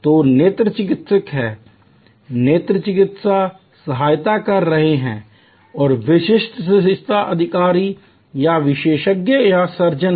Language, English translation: Hindi, So, there are eye doctors, there are ophthalmic assistance and there are senior medical officers or experts or surgeons